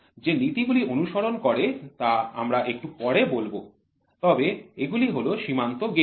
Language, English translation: Bengali, We will say what are the principles followed a little later, but these are the limit gauges